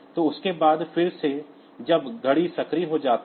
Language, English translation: Hindi, So, it can after that again the when the watch is activated